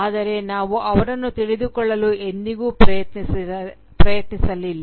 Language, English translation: Kannada, But we never tried to know them